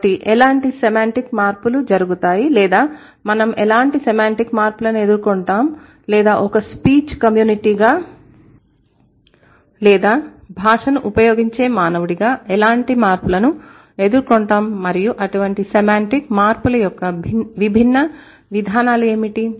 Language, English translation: Telugu, So, what sort of semantic changes happen or what kind of semantic changes do we encounter as the speech community or as a human being who uses language and what are the different mechanisms of such semantic changes